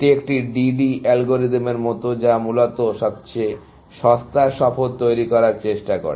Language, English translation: Bengali, It is like a DD algorithm, which tries to build cheapest tour, essentially